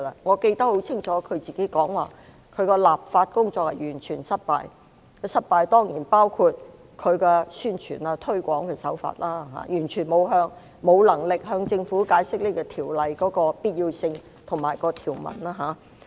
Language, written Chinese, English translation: Cantonese, 我清楚記得她曾說她的立法工作完全失敗，這當然包括宣傳和推廣手法，完全無能力向市民解釋這項條例的必要性及條文。, I clearly remember that she said that her legislative exercise was a total failure . This of course included the means of promotion and publicity and she was completely incapable of explaining the necessity and provisions of the Ordinance to the public